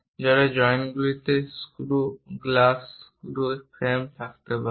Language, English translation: Bengali, Perhaps there will be joints those joints might be having screws glass screws and frame